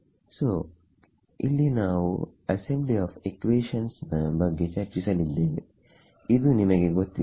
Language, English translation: Kannada, So, here is where we discuss the assembly of equations you are all familiar with this